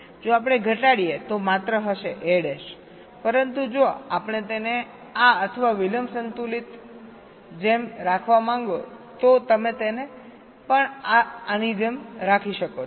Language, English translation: Gujarati, if we minimize, this will be only a bar, but if we want to keep it like this, or balancing the delays, you can keep it also like this